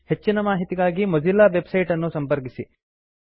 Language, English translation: Kannada, For more information about this, please visit the Mozilla website